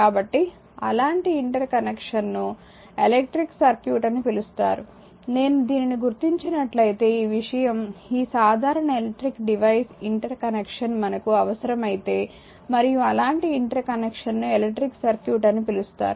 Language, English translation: Telugu, So, and such interconnection is known as an as your as an electric circuit like if I mark it by this, if this thing this plain we require an interconnection of electrical devices and such interconnection is known as an electric circuit right and each component of the electric circuit is known as element